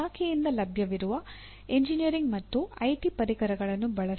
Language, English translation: Kannada, Use the engineering and IT tools made available by the department